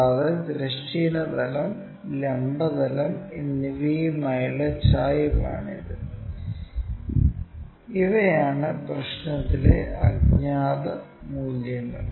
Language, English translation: Malayalam, And, it is inclination with horizontal plane and vertical plane; these are the unknowns in the problem